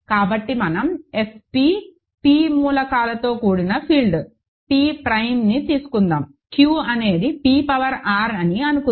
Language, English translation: Telugu, So, let us take F p, the field with p elements, p prime, let us say q is p power R